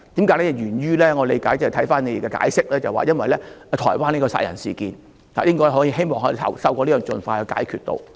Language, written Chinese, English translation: Cantonese, 據我理解，回看你們的解釋，這是源於在台灣發生的殺人事件，希望透過這樣做可以盡快解決事件。, According to my understanding and your explanation the cause of this matter is the murder case that happened in Taiwan and it was hoped that by taking such a step this matter can be resolved as soon as possible